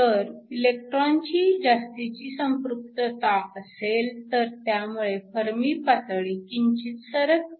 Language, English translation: Marathi, So, If you have an excess concentration of electrons, this will again cause a slight shift in the Fermi level